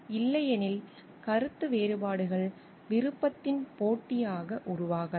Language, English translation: Tamil, Otherwise, disagreements may develop into the contests of will